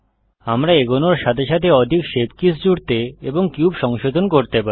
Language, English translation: Bengali, We can keep adding more shape keys and modifying the cube as we go